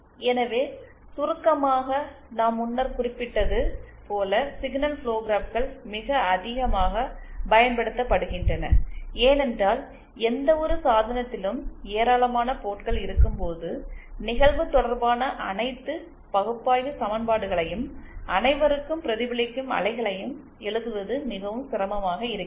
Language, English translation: Tamil, So, in summary, signal flow graphs are very, very frequently used as I have mentioned earlier because when we have a large number of ports on any device, it becomes very tedious to actually write all the analytically equations relating incident and reflected waves for all the ports